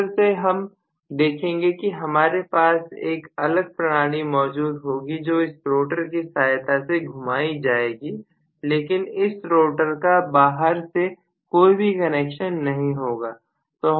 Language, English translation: Hindi, In a motor what I want is to rotate another mechanism that will be possible with the help of this rotor but this rotor does not have any connection with the external field, external world